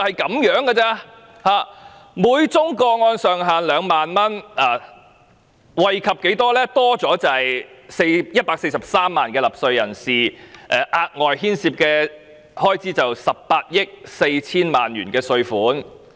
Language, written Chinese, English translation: Cantonese, 現時每宗個案上限2萬元，措施可以多惠及143萬納稅人，牽涉額外開支18億 4,000 萬元稅款。, The ceiling is now retained at 20,000 per case . About 1.43 million taxpayers will further benefit from the measure which involves an additional expenditure of 1.84 billion from the Government